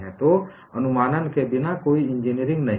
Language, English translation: Hindi, So, without approximations, there is no engineering